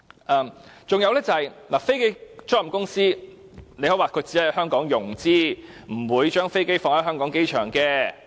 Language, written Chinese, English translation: Cantonese, 再者，你可以說飛機租賃公司只在香港融資，不會把飛機停泊在香港機場。, Moreover you may say that aircraft leasing companies will only conduct financing activities in Hong Kong but are not going to park their aircraft at the Hong Kong airport